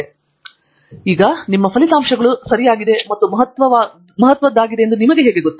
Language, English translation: Kannada, Going back to the question of, how do you know your results are right and significant